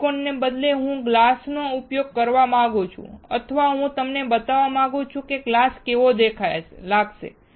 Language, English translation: Gujarati, Instead of silicon, I want to use glass or I want to show you how glass will look like